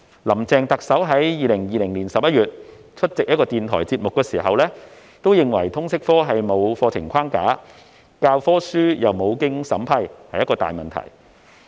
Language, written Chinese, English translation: Cantonese, 林鄭特首在2020年11月出席一個電台節目時指出，通識科沒有課程框架，教科書亦無須經過審批，因此是一個大問題。, Chief Executive Carrie LAM pointed out in a radio programme in November 2020 that a big problem of the LS subject was the absence of a curriculum framework and the textbooks were not subject to vetting and approval